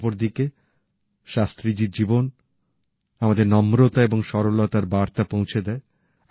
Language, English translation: Bengali, Likewise, Shastriji's life imparts to us the message of humility and simplicity